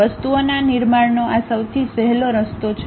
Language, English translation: Gujarati, This is the easiest way of constructing the things